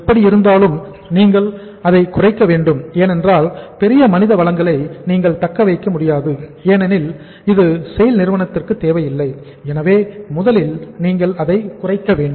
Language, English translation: Tamil, Anyhow you have to bring it down because you cannot sustain this much of the large human resources are not required in SAIL so first you have to bring them down